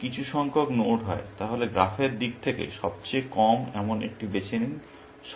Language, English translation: Bengali, If m is the collection of nodes, pick the one which is lowest in terms of the graph